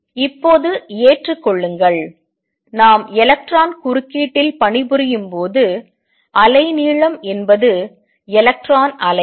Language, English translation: Tamil, Accept that now, when we work with electron interference wavelength is that of electron waves